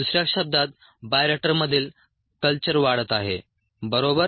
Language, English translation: Marathi, ok, in other words, the culture in the bioreactor is growing, right